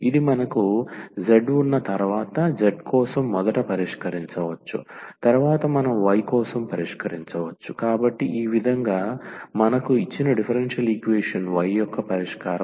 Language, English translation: Telugu, And this we can solve first for z once we have z, then we can solve for y, so in that way we will get the solution y of the given differential equation